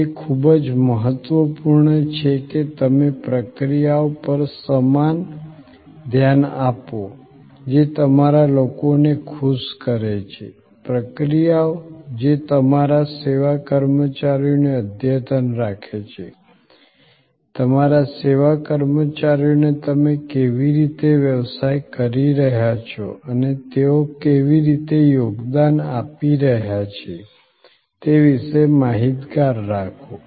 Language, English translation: Gujarati, It is very important that you pay equal attention to the processes that make your people happy, processes that keep your service personnel up to date, keep your service personnel informed about how you are business is doing and how they are contributing